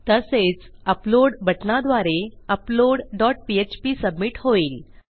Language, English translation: Marathi, And also we have an upload button which submits to our upload dot php